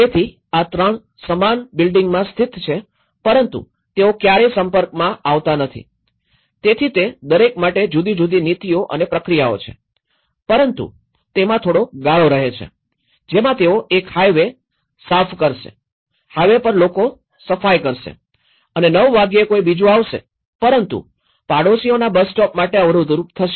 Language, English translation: Gujarati, So, these 3 are situated in the same building but they never interact, so they have different policies and procedures for each of them but they have some gaps in that 6 o'clock one highway will clean, highway people, will clean and at 9 o'clock someone else will come but it will cause the barrier for the neighbourhoods to come into the bus stop